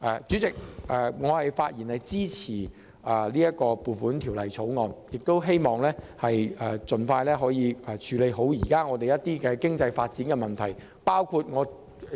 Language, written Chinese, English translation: Cantonese, 主席，我發言支持《2019年撥款條例草案》，亦希望政府盡快處理好香港經濟發展現正面對的問題。, Chairman I speak in support of the Appropriation Bill 2019 and I hope that the Government will expeditiously and properly address the problems currently facing Hong Kongs economic development